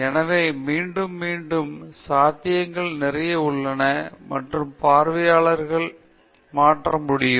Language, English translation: Tamil, So, there is a lot of possibilities of repetition and the audience can change